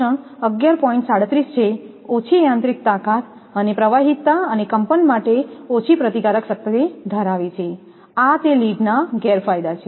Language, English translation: Gujarati, 37, low mechanical strength and fluidity and small resistance to vibration; these are the disadvantages of lead